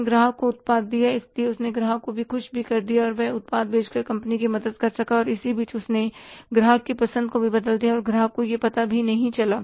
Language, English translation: Hindi, So, he kept the customer also happy and he could help the company by selling the product and in between he changed the preferences of the customer also and customer never knew it